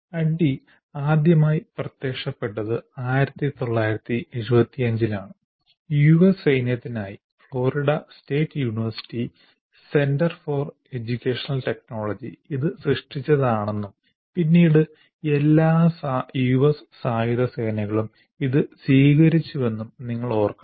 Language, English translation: Malayalam, ADI first appeared in 75 and you should remember it was created by the Center for Education Technology at Florida State University for the US Army and then quickly adopted by all the US Armed Forces